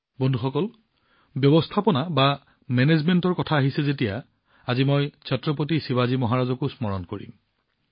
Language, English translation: Assamese, Friends, when it comes to management, I will also remember Chhatrapati Shivaji Maharaj today